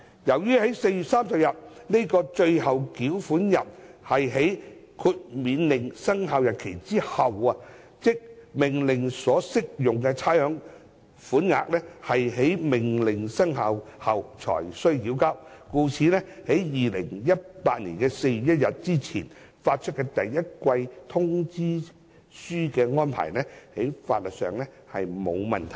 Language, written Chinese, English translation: Cantonese, 由於4月30日這個最後繳款日是在《命令》生效日後之後，即命令所適用的差餉款額是在命令生效後才須繳交。故此，在2018年4月1日之前發出第一季通知書的安排，在法律上並無問題。, Given that the Last Day for Payment of 30 April 2018 falls on a date after the Order has come into effect the arrangement of issuing demand notes for rates payment for the quarter before 1 April 2018 is legally in order